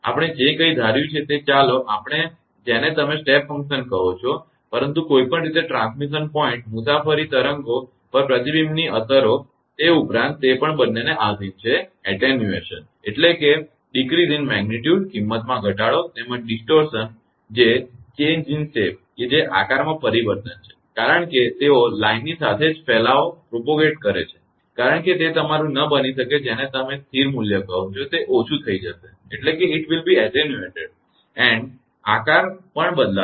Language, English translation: Gujarati, Whatever we have assumed let us say we are what you call step function, but anyway in general addition to the effects of reflection at transmission point traveling waves are also subject to both attenuation, decrease in magnitude as well as distortion that is the change in shape right as they propagate along the line right because it cannot be your what you call constant value it will be attenuated as well as shape will also change right